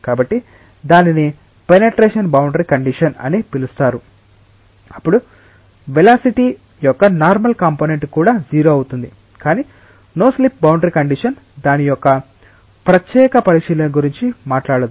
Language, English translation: Telugu, So, that is called as a no penetration boundary condition then there even the normal component of velocity will become 0, but no slip boundary condition does not talk about that is a separate consideration